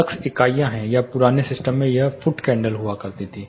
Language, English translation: Hindi, Lux is units are in older system it uses to be foot candle